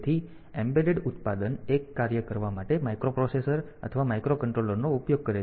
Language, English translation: Gujarati, So, an embedded product uses microprocessor or microcontroller to do 1 task on